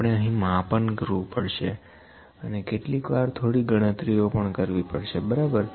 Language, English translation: Gujarati, We have to do some measurements we have to do some calculation sometimes, ok